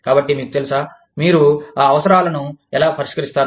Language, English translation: Telugu, So, you know, how do you address, those needs